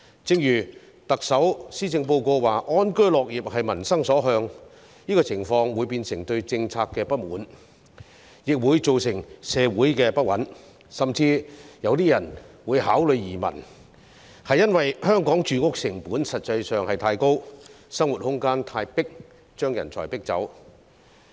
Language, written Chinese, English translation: Cantonese, 正如特首在施政報告中指出，安居樂業是民心所向，這個情況會變成對政策的不滿，亦會造成社會不穩，甚至有些人會考慮移民，因為香港的住屋成本實在太高，生活空間太狹窄，把人才逼走。, As pointed out by the Chief Executive in the Policy Address people have aspirations for a stable and comfortable home . This situation will possibly give rise to discontent with policy and social instability . Some people may even consider emigration as extremely high living costs and cramped living space in Hong Kong are forcing talents to leave